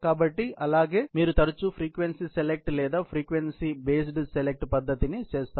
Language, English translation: Telugu, So, that is how you would do the frequent frequency select or frequency based select method